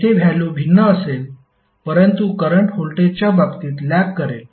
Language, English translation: Marathi, So here the value would be different but the current would be lagging with respect to voltage